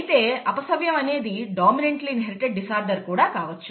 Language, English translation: Telugu, It so happens that a disorder could be a dominantly inherited disorder too